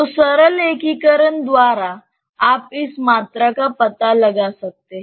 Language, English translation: Hindi, By simple integration, you can find out this volume